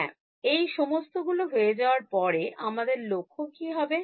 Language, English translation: Bengali, Yeah, after having done all of this what was my objective